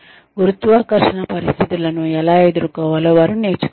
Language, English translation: Telugu, They need to learn, how to deal with, no gravity situations